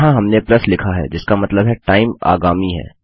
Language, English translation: Hindi, Here we said plus which meant that the time is in the future